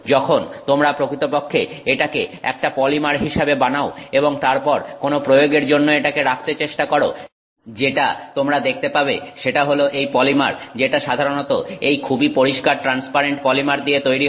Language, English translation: Bengali, When you actually make it as a polymer and then you know try to put it for some application, what you will see is that the polymer that is made out of this is typically a very clear transparent polymer